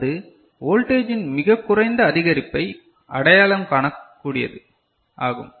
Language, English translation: Tamil, It is the smallest increment in the voltage that can be recognised ok